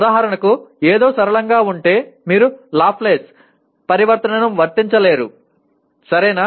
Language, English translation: Telugu, For example if something is nonlinear you cannot apply Laplace transform, okay